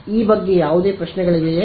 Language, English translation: Kannada, Any questions about this